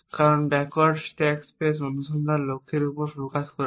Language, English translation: Bengali, Because backward stack space search is focus on the goal